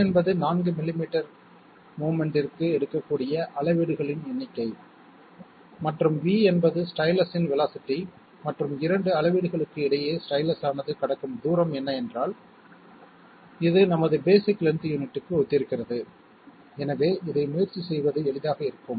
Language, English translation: Tamil, N is the number of readings it is capable of taking for the 4 millimetres of movement and V is the velocity of the stylus, and what is the distance covered by the stylus between two readings, this corresponds to our basic length unit, so this should be easy to let us try that